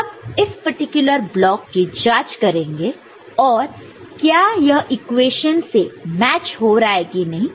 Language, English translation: Hindi, So, let us investigate one such particular block and see whether it matches with the equation or not, ok